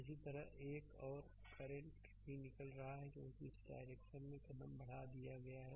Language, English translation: Hindi, Similarly, another current is also leaving because we have taken in this direction